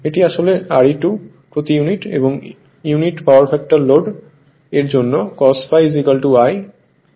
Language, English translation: Bengali, This is actually is equal to R e 2 per unit right and unity power factor load so, cos phi is equal to 1 right